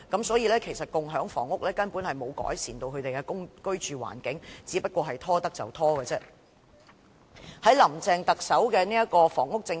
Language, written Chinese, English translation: Cantonese, 所以，共享房屋根本沒有改善他們的居住環境，只不過是政府能拖延便拖延的做法。, Hence community housing will not improve their living environment at all . It is merely the Governments approach of procrastination